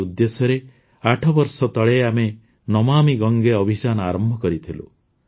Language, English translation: Odia, With this objective, eight years ago, we started the 'Namami Gange Campaign'